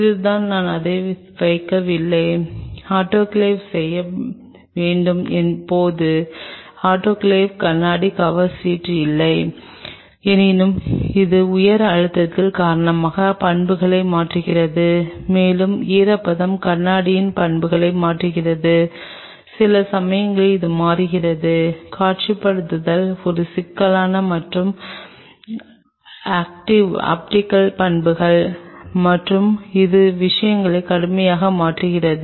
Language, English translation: Tamil, This is the do not I am just putting it do not autoclave do not ever autoclave glass cover slips do not because it changes the property because of the high pressure and that moisture it changes the properties of the glass, and at times it changes it is optical properties that visualization becomes a problem and it changes things drastically